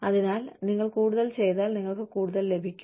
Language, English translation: Malayalam, So, if you do more, you get more